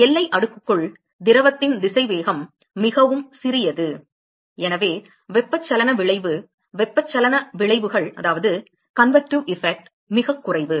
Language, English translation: Tamil, So, the velocity of the fluid inside the boundary layer is very small and therefore, therefore, the convective effect; the convective effects are negligible